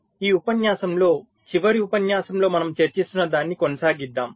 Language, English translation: Telugu, so in this lecture we shall be continuing with what we were discussing during the last lecture